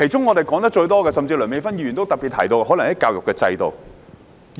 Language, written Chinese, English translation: Cantonese, 我們說得最多的問題，梁美芬議員也特別提到，就是有關教育制度的問題。, A problem which we often talk about and which Dr Priscilla LEUNG has specifically mentioned is our education system